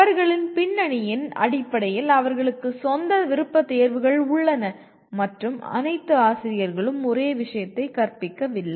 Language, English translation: Tamil, Based on their background, they have their own preferences and all teachers are not teaching the same subject